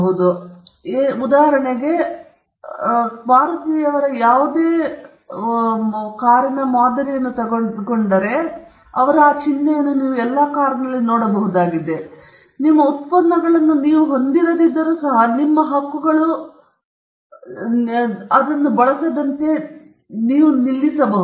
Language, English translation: Kannada, Now, you could use this right for all your products; you could use this right for if you enter new industries in which you were not there before; you could stop people from using it, even if you do not have products, because your rights have goodwill